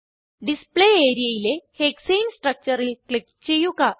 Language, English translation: Malayalam, Click on the Hexane structure on the Display area